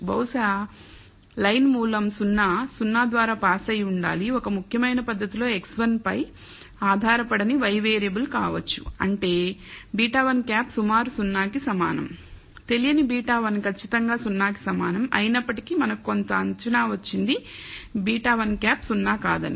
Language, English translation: Telugu, Maybe the line should be pass through 0, 0 the origin, maybe the y variable that is not depend on x 1 in a significant manner which means beta 1 hat is approximately equal to 0 that unknown beta 1 is exactly equal to 0 although we have got some estimate for beta 1 hat non zero the estimate for beta 1 hat